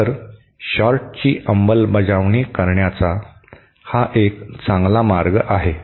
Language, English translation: Marathi, So, this is a better way of implementing a short